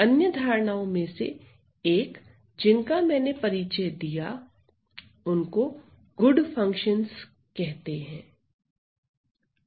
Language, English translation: Hindi, One of the other notions that I introduce is the so called good functions